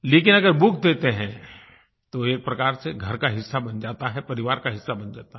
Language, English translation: Hindi, But when you present a book, it becomes a part of the household, a part of the family